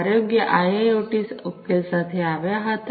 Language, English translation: Gujarati, came up with the health IIoT solution